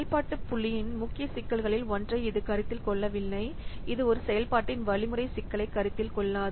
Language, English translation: Tamil, It does not consider one of the major problem with function point is that it does not consider algorithm complexity of a function